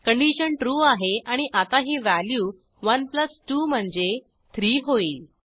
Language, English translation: Marathi, The condition is true and now sum will be 1 + 2 i.e 3